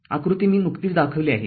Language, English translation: Marathi, So, figure already I have shown